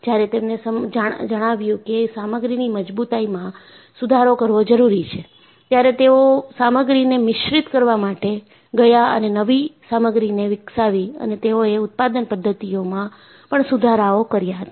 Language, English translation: Gujarati, When they find that, strength of the material has to be improved, they went in for alloying the materials and new materials is developed and they also improved the production methods